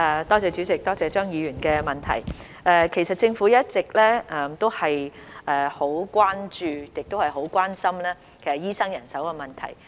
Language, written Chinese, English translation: Cantonese, 代理主席，多謝張議員的問題，其實政府一直都很關注，亦很關心醫生人手的問題。, Deputy President I thank Mr CHEUNG for his question . In fact the Government has all along been very concerned about and has attached great importance to the doctor manpower issue